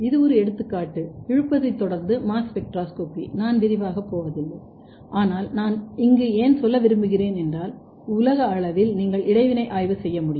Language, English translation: Tamil, This is example of pull down followed by mass spectroscopy, I will not go in the detail, but why I want to tell here that you can do at the global level